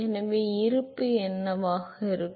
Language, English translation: Tamil, So, what will be the balance